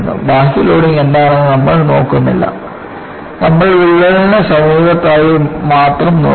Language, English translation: Malayalam, We are not looking at what is the external loading; we look at only in the near vicinity of the crack